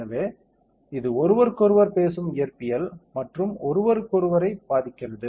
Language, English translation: Tamil, So, this is how different physics it will talks to each other and affects each other